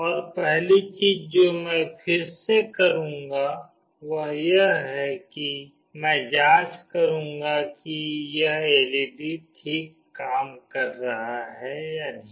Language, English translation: Hindi, And the first thing again I will do is first I will check whether this LED is working fine or not